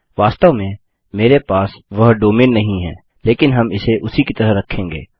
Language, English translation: Hindi, I dont actually have that domain name but well just keep it as that